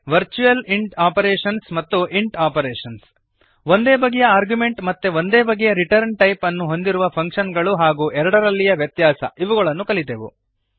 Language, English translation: Kannada, virtual int operations () and int operations () functions with the same argument and same return type and difference between both